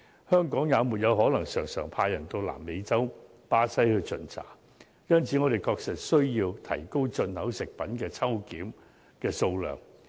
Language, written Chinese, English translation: Cantonese, 香港也不可能經常派人往南美洲巴西巡查，因此我們確實需要提高進口食品的抽檢數量。, Nor can Hong Kong frequently send officials to Brazil in South America to conduct inspection . Therefore there is a genuine need for us to increase the quantity of random inspections of imported food